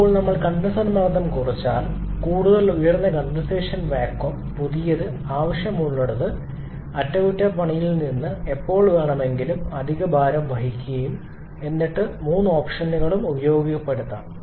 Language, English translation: Malayalam, And now if we reduce the condenser pressure even more so higher condensation vacuum means new required which will put additional burden from maintenance and when the fabrication point of view